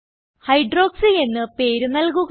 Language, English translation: Malayalam, Name it as Hydroxy